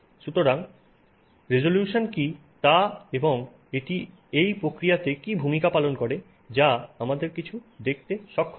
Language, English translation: Bengali, So, what is resolution and what role does it play in this process of us being able to see something